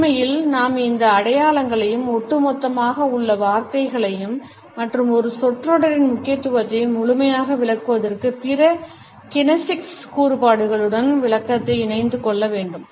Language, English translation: Tamil, And we must consider these signals as well as the words in totality, the sentences in totality, and combine the interpretation with other kinesics features to fully interpret the significance of an utterance